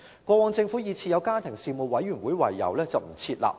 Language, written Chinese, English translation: Cantonese, 過往政府以已設有家庭事務委員會為由而不設立。, In the past the Government refused to do so on the grounds that there was already the Family Commission